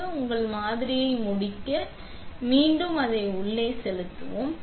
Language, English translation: Tamil, Now you finish your sample, we will put this back in